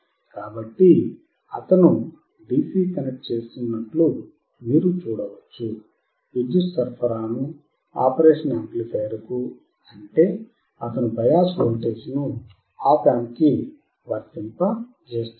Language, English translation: Telugu, So, you can see he is connecting DC power supply to the operational amplifier; that means, he is applying bias voltage to the op amp